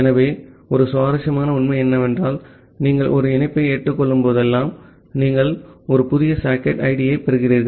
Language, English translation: Tamil, So, here is an interesting fact that whenever you are accepting a connection, you are getting a new socket id